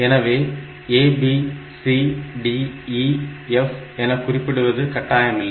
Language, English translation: Tamil, So, this A, B, C, D, E does not matter